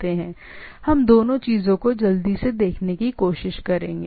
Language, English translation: Hindi, We will try to see that both the things quickly